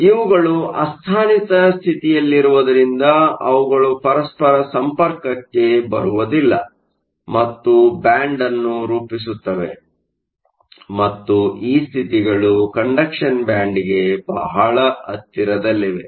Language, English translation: Kannada, So, that these are localized states they do not come into contact with each other and form a band and these states are located very close to the conduction band